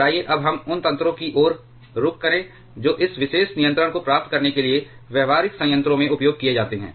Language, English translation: Hindi, And let us now move to the mechanisms which are used in practical reactors to achieve this particular control